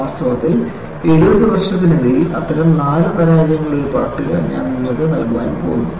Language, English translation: Malayalam, In fact, I am going to give you a list of 4 such failures, over a span of about 17 years